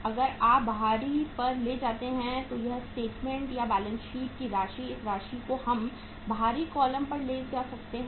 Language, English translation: Hindi, If you take to the outer column this uh statement or this amount of the balance sheet we can take to the outer column